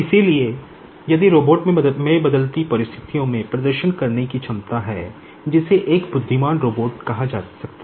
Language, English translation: Hindi, So, if the robot is having the ability to perform in a varying situations that may be called an intelligent robot